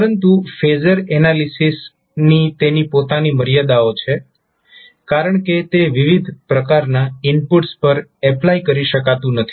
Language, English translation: Gujarati, But phasor analysis has its own limitations because it cannot be applied in very wide variety of inputs